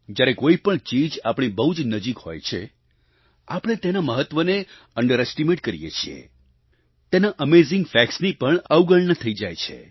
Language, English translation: Gujarati, When something is in close proximity of us, we tend to underestimate its importance; we ignore even amazing facts about it